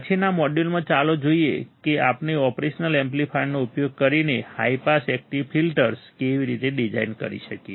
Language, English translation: Gujarati, In the next module, let us see how we can design the high pass active filters using the operation amplifier